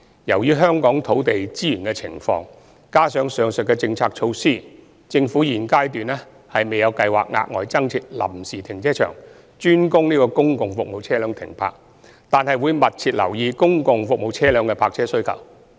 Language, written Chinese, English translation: Cantonese, 由於香港土地資源的情況，以及上述的政策措施，政府現階段未有計劃額外增設臨時停車場專供公共服務車輛停泊，但會密切留意公共服務車輛的泊車需求。, Given the land resource situation in Hong Kong and the aforementioned policies the Government has no plans at the current juncture to provide additional temporary car parks dedicated for public service vehicles . That said we will closely monitor the parking demand of such vehicles